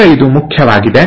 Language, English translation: Kannada, Now this is important